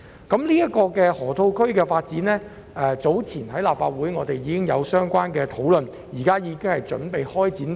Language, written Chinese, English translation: Cantonese, 這項河套區發展計劃早前在立法會已作討論，現正準備開展。, This development plan in the Loop has already been discussed by the Legislative Council and will soon commence